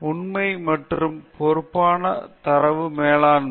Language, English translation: Tamil, Truthful and responsible data management